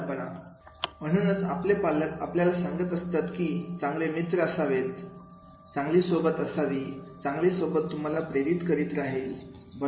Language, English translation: Marathi, The way, because that is why our parents keep on saying, keep the good friends, good company, so good company will keep on motivating you, right